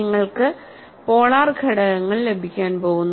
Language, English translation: Malayalam, You are going to get polar components